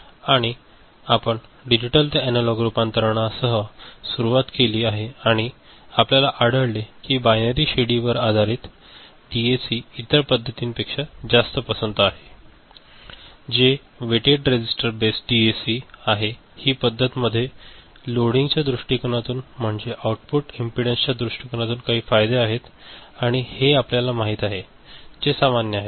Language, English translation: Marathi, And we started with digital to analog conversion and we found that binary ladder based DAC is preferred over the other method which is weighted resistor based DAC from the loading point of view, the output impedance point of view; so there are certain advantages and this is you know, more common